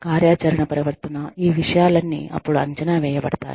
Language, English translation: Telugu, Activity, behavior, all of these things, are then assessed